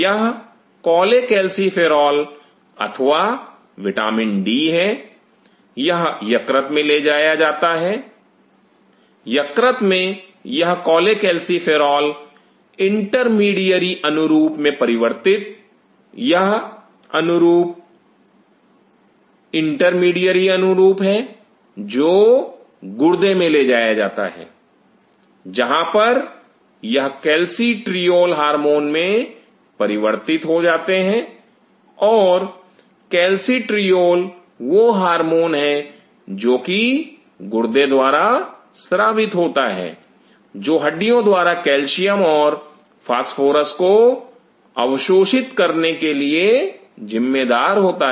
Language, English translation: Hindi, This is cholecalciferol or vitamin d it is transported to the liver in the lever this cholecalciferol is converted into intermediary analogue, this analogue is this intermediary analogue is transported to the kidney, where this is transformed into and hormone called calcitriol and calcitriol is the hormone which is secreted by the kidney which is responsible for absorbing calcium and phosphorus by the bone